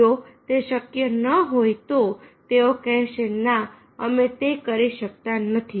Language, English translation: Gujarati, if it is not possible, they will say no, we will cannot do it